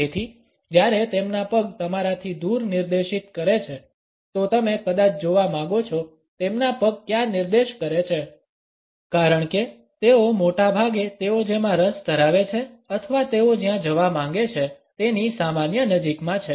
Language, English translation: Gujarati, So, when their foot is pointed away from you; you might want to look where their foot is pointed because they are most likely it is in the general vicinity of what they are interested in or where they want to go